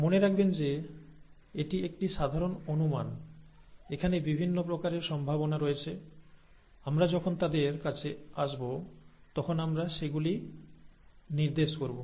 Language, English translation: Bengali, Remember that this is a simple approximation, there are variations possible, we will point them out when we come to them